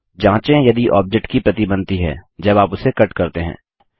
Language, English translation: Hindi, Check if a copy of the object is made when you cut it